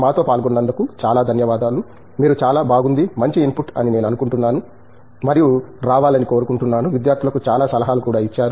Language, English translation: Telugu, Thank you very much for joining us, I think you have given a lot of very nice you know I think input and also a lot of advice for the students aspiring to come in